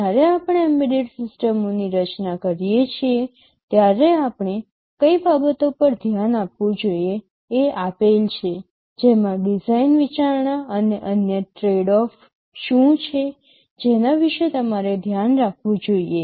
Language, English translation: Gujarati, When we design an embedded systems, what are the things we should look at, and what are the design consideration and other tradeoffs that you should be aware of